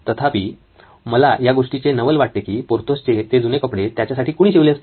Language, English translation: Marathi, However, I wonder who stitched those previous old clothes of Porthos